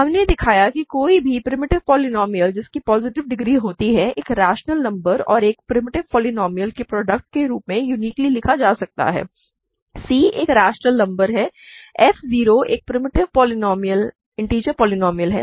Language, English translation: Hindi, We showed that any rational polynomial which has positive degree can be written uniquely as a product of a rational number and a primitive polynomial; c is a rational number f 0 is a primitive integer polynomial